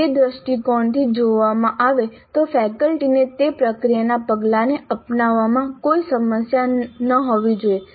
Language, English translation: Gujarati, Looked it from that perspective, faculty should have no problem in adopting that process step